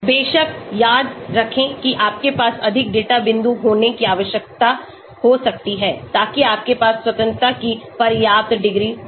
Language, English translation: Hindi, Of course, remember you may need to have more data points so that you have enough degrees of freedom